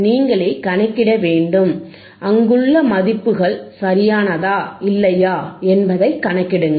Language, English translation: Tamil, You are to calculate by yourself and calculates whether the values that is there are correct or not